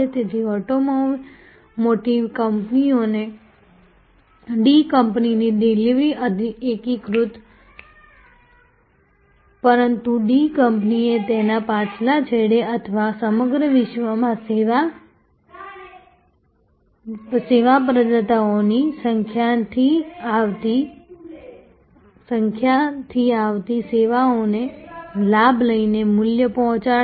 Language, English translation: Gujarati, So, to the automotive companies the D company’s delivery is seamless, but the D company at its back end or around the world will be delivering the value by leveraging the services coming from number of service providers